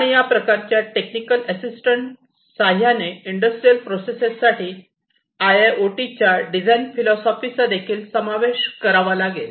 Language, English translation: Marathi, And this kind of technical assistance will also have to be incorporated into the design philosophy of IIoT for industrial processes